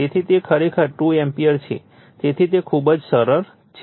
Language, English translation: Gujarati, So, it is actually 2 ampere right so, very simple